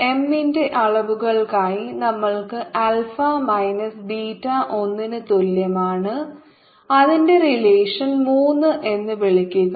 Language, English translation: Malayalam, for for dimension of m we are getting alpha minus beta is equal to one